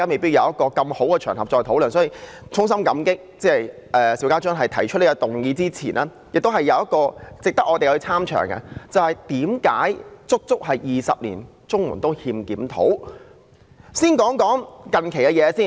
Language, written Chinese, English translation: Cantonese, 所以，在我衷心感激邵家臻議員提出這項議案之餘，還有一點值得我們參詳的，也就是為甚麼足足20年綜援都欠缺檢討。, Hence while extending my heartfelt gratitude to Mr SHIU Ka - chun for proposing this motion I think there is one more point that warrants our detailed examination that is the reason for the absence of a review of CSSA for as long as two decades